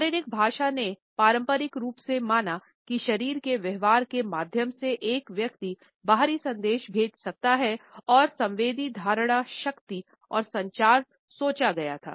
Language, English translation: Hindi, Body language conventionally believed that one sends external messages through body behaviour and it was thought that sensory perception strength and communication